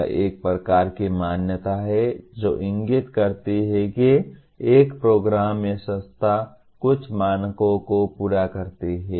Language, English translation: Hindi, It is a kind of recognition which indicates that a program or institution fulfils certain standards